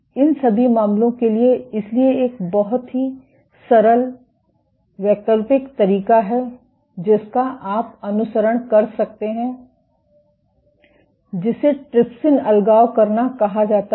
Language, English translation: Hindi, For all these cases, so there is a very simple alternative approach which you might follow is called a trypsin deadhesion assay